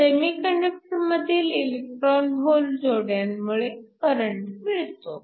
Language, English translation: Marathi, You have electron hole pairs in the semiconductor that lead to current